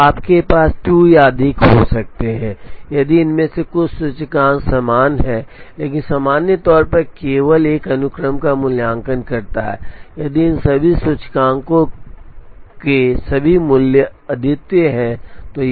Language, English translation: Hindi, So, you could have 2 or more if some of these indices are equal, but in general it evaluates only one sequence if all the values of these each of these indices is unique